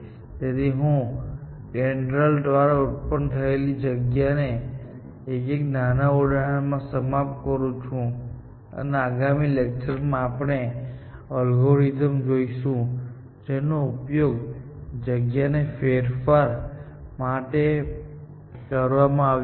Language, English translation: Gujarati, So, let me just end with a small example of the kind of space that DENDRAL generated, and in the next class, we will see the algorithms, which I used to explore this space